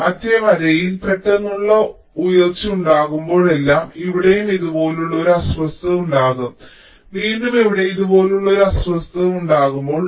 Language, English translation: Malayalam, so whenever there is a sudden rise in the other line, so here also there will be a disturbance like this